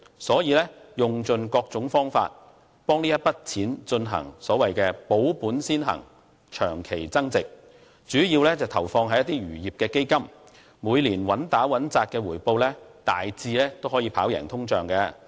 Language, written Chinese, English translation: Cantonese, 所以，他用盡各種方法為這筆錢進行"保本先行、長期增值"，主要投放在一些漁業基金，每年穩打穩扎的回報大致可以跑贏通脹。, He thus tries every means to preserve the capital and look for long - term value appreciation . He invests the money in some fishing funds with a stable yearly return that roughly outperforms the inflation rate . But their quality of life has been mediocre